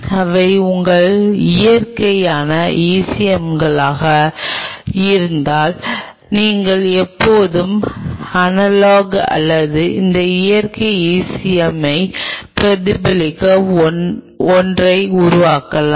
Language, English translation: Tamil, what we mean by synthetic ecm is, if these are your natural ecms, you can always develop analogue or something which mimics these natural ecm